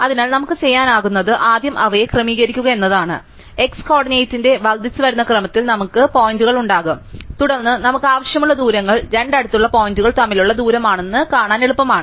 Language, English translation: Malayalam, So, what we can do is we can first sort them, so that we have the points in increasing order of x coordinate and then it is easy to see that the distances that we need are the distances between two adjacent points